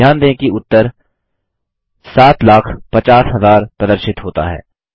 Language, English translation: Hindi, Notice the result shows 7,50,000